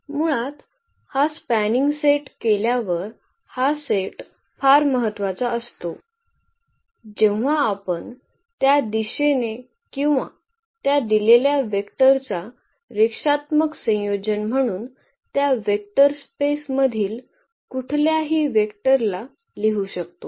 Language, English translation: Marathi, So, this is spanning set is very important once we have this spanning set basically we can write down any vector of that vector space in terms of these given or as a linear combination of these given vectors